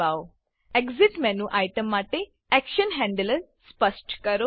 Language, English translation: Gujarati, Specify the action handler for the Exit menu item